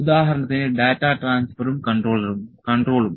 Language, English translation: Malayalam, For instance, data transfer and control